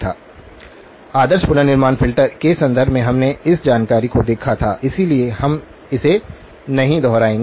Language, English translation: Hindi, Now, in terms of the ideal reconstruction filter, we had looked at this information, so we would not repeat that